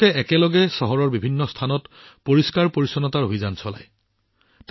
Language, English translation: Assamese, Together they run cleanliness drives at different places in the city